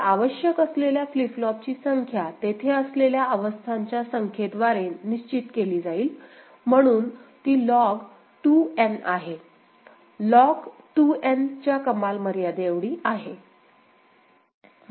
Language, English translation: Marathi, So, number of flip flops required will be defined by the number of states that is there, so it is log 2 N, the ceiling of log 2 N ok